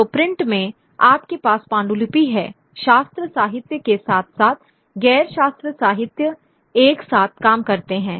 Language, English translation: Hindi, So, in print you have the manuscript, the scriptural literature as well as the non scriptural literature working together